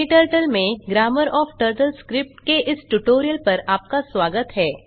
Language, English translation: Hindi, Welcome to this tutorial on Grammar of TurtleScript in KTurtle